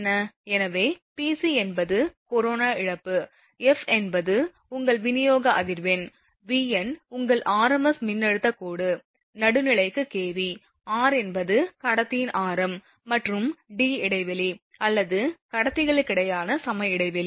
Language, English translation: Tamil, So, P c is the corona loss, f is your supply frequency, your V n is the, your r m s voltage line to neutral in kV, r is equal to radius of the conductor and D spacing or equivalence spacing between conductors